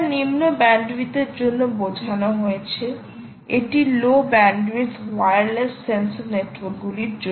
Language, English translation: Bengali, it is meant for low bandwidth, it is meant for low bandwidth wireless sensor networks, right, and frame sizes are small